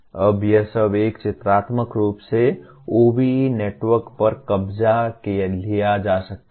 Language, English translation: Hindi, Now all this can be captured in a pictorial form, the OBE network